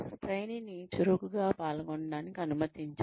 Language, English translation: Telugu, Allow the trainee to participate actively